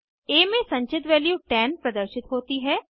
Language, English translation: Hindi, Value 10 stored in variable a is displayed